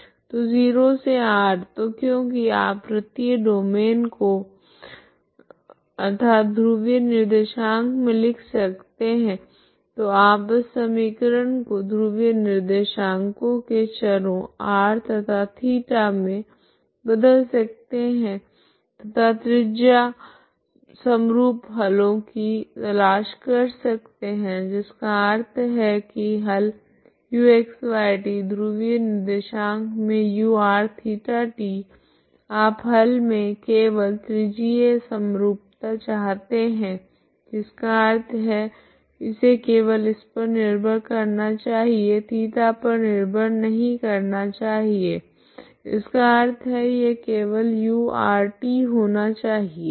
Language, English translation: Hindi, So 0 to r so because the circular domain you can you can reduce into polar coordinates, we can reduce this equation into polar coordinates r and theta variables and look for solutions radial symmetric solutions that means the solution u(x , y ,t) that is in the polar coordinates this will be u(r ,θ, t)you look for solutions only radially symmetry that means should depend on it does not depend on theta that means solutions are only u(r ,t)okay